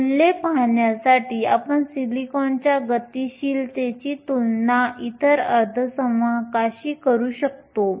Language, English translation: Marathi, You can compare the mobility of silicon with some other semiconductors to see the values